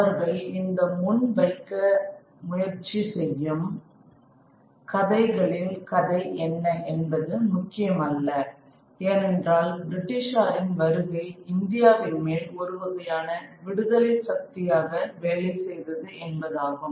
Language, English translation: Tamil, No matter what the story of these stories are it they project, they try to project that it is the coming of the British that actually works as some kind of a liberatory force on India